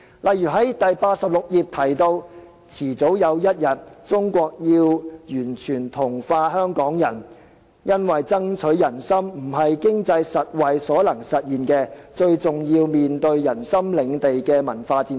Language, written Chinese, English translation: Cantonese, 例如，這本書第86頁提到"早晚有一天，中國要完全同化香港人，因為爭取人心不是經濟實惠所能實現的，最重要面對人心領地的文化戰爭"。, For instance it is mentioned in page 86 of the book that Sooner or later China has to fully assimilate Hong Kong people because the hearts of people cannot be won by providing economic and material benefits . It is most important to wage a cultural warfare to win the hearts of the people